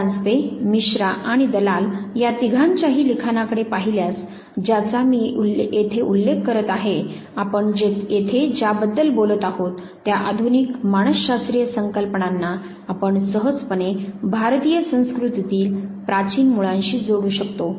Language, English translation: Marathi, If you look at the work of Paranjpe, Paranjpe Misra and Dalal all three of them that I am referring to here, you would be able to connect that the modern concept of psychology that we are talking about here you can very easily trace them back to the ancient point of origins in the Indian culture